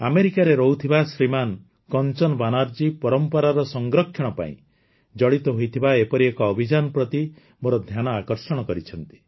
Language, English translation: Odia, Shriman Kanchan Banerjee, who lives in America, has drawn my attention to one such campaign related to the preservation of heritage